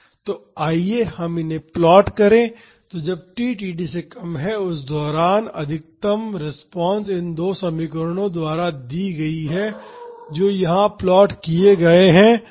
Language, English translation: Hindi, So, let us plot these so, the maximum response during t less than td is given by these two equations this plotted here